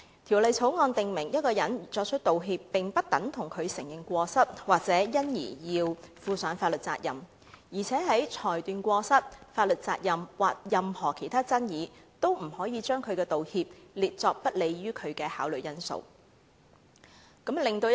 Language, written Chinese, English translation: Cantonese, 《條例草案》訂明，一個人作出道歉，並不等於他承認過失，或因而要負上法律責任；而且在裁斷過失、法律責任或任何其他爭議時，均不可把道歉列作不利於道歉人士的考慮因素。, The Bill states that a person making an apology does not mean that he admits his fault or that he is legally liable; and the apology cannot be a factor of consideration to the prejudice of the apology maker when determining fault liability or any other issue of dispute